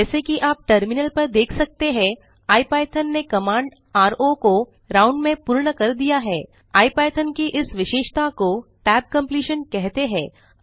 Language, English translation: Hindi, As you can see on the terminal, IPython completes the command ro into round, This feature of ipython is called the tab completion